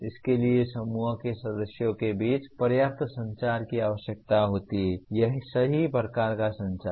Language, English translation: Hindi, That requires adequate communication between the group members, the right kind of communication